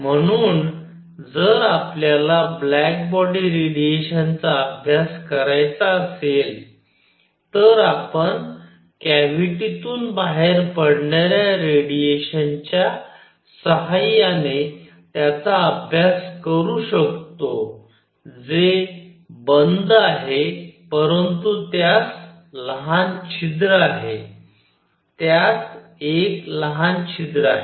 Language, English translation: Marathi, So, if we wish to study black body radiation, we can study it using radiation coming out of a cavity which is closed, but has a small hole; with a small hole in it